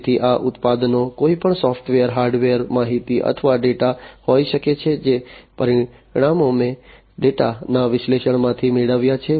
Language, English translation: Gujarati, So, these products can be anything software, hardware, information or the data, the results that I have obtained from the analysis of the data